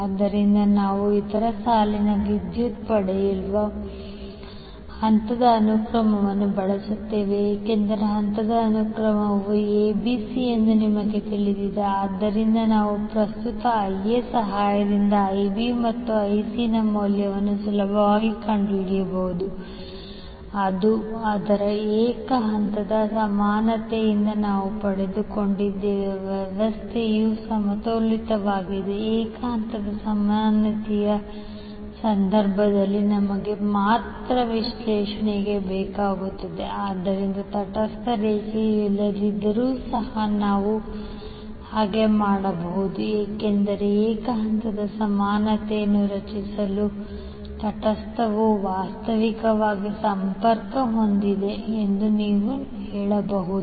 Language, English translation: Kannada, So we use phase sequence to obtain the other line currents because we know that the phase sequence is ABC, so we can easily find out the values of IB and IC with help of current IA which we got from its single phase equivalent so as long as the system is balanced we need only analysis in case of single phase equivalent, so we can all we may do so even if the neutral line is absent because you can say that neutral is virtually connected for creating the single phase equivalent